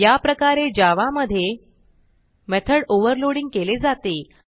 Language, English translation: Marathi, So in such case java provides us with method overloading